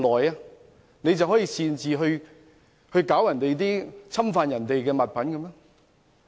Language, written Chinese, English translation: Cantonese, 他可以擅自侵犯別人的物品嗎？, Can he tamper with others articles without authorization?